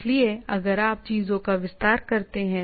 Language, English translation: Hindi, So if you go on expanding things